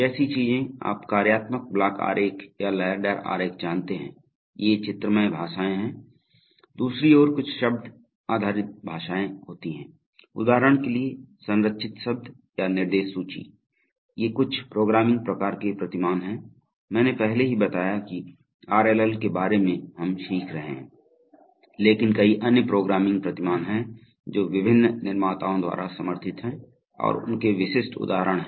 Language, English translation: Hindi, Things like, you know functional block diagrams or ladder diagrams, these are graphical languages, on the other hand there may be some several text based languages, for example structured text or instruction list, these are some of the kinds of programming paradigms, I already told that, that although we are learning about the RLL, there are several other programming paradigms which are also supported by various manufacturers